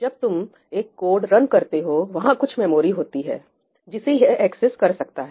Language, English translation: Hindi, When you run a code, there is some memory that it can access, right